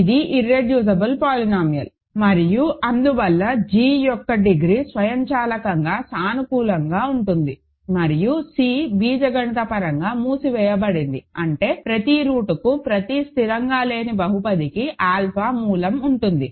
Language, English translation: Telugu, Because it is an irreducible polynomial and hence degree of g is automatically positive and C is algebraically closed means, every root has every non constant polynomial has a root